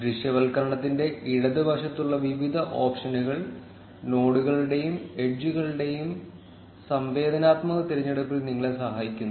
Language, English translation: Malayalam, Various options on the left of the visualization help you with interactive selection of nodes and edges